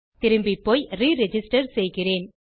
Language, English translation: Tamil, Then I am going to go back and re register